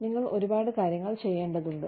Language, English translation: Malayalam, You are required to do, a lot of things